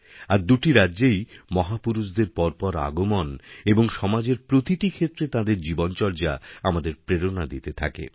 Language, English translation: Bengali, And both the states had a steady stream of great men whose lives and sterling contributions in every sphere of society is a source of inspiration for us